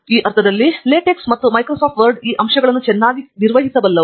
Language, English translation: Kannada, In this sense, LaTeX and Microsoft Word can take care of these aspects very well